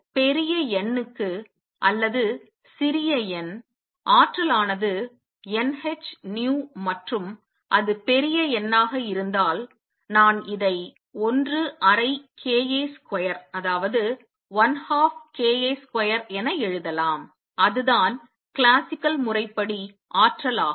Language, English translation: Tamil, Now for large n for large n or small n the energy is n h nu and if it is large n, I can write this as 1 half k A square that is energy classically